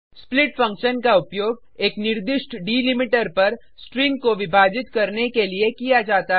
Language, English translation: Hindi, split function is used to divide a string at a specified delimiter